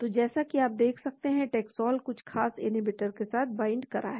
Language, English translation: Hindi, , so as you can see taxol binding to certain inhibitor